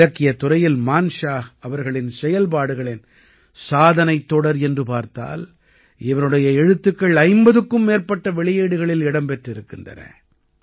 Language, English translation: Tamil, The scope of Manshah ji's work in the field of literature is so extensive that it has been conserved in about 50 volumes